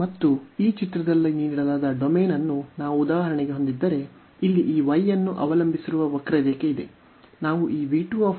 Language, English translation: Kannada, And if we have for example the domain given in this figure, so here there is a curve which depends on this y